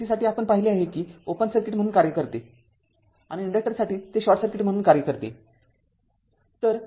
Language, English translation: Marathi, So, for and for DC ah we have seen that capacitor ah acts as a open circuit and ah for the inductor it will act as a short circuit right